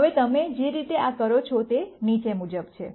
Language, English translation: Gujarati, Now the way you do this is the following